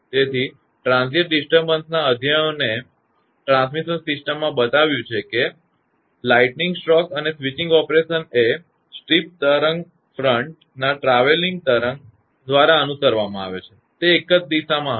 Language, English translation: Gujarati, So, studies of transient disturbances in a transmission system have shown that lightning stroke and switching operations are followed by a travelling wave of a steep wave front; it will be uni directional